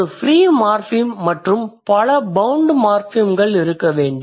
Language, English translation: Tamil, There must be one free morphem than multiple bound morphemes